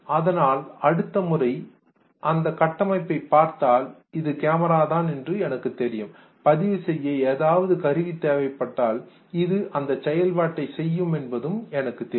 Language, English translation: Tamil, So next time if I see this structure I know this is camera and if I need something to be recorded I know which instrument can perform this function and then I will say I need a camera